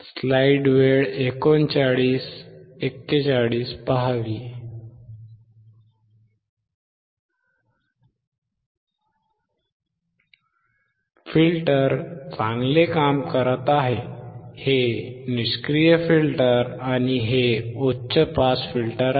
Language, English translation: Marathi, Filter is working fine, this is passive filter and these high pass filter